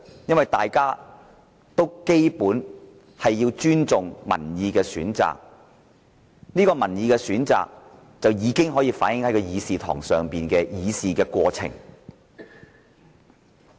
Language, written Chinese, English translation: Cantonese, 因為大家都尊重民意的選擇，而這個民意選擇已反映在這個議事堂的議事過程。, This is the best statecraft because we all respect the choice chosen by the people and this chosen choice is reflected in the conduct of Council businesses